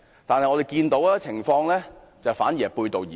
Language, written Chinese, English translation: Cantonese, 但是，我們看到的情況卻是背道而馳。, Yet the reality is that things are getting worse